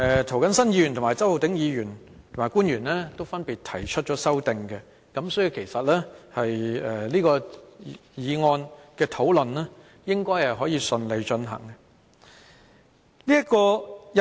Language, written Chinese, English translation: Cantonese, 涂謹申議員、周浩鼎議員及官員都分別提出了修正案，所以這項《條例草案》的討論應該可以順利進行。, Mr James TO Mr Holden CHOW and government officials have proposed amendments respectively so the discussion on the Bill should be able to proceed smoothly